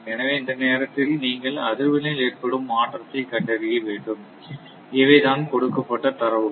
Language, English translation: Tamil, So, you have to value the change in frequency that occurs in this time and these are the data given